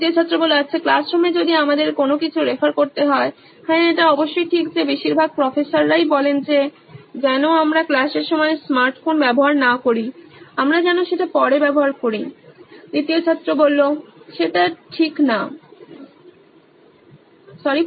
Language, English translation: Bengali, Well in the classrooms if we have to refer to anything, yes of course but mostly Professors prefer if we do not use smart phones during the class hour, we can use it later